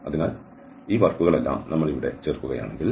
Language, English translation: Malayalam, So, if we add all these work here